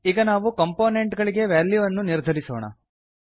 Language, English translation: Kannada, We will now assign values to components